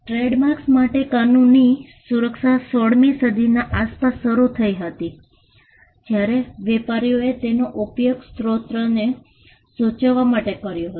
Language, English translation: Gujarati, Legal protection for trademarks started around the 16th Century, when traders used it to signify the source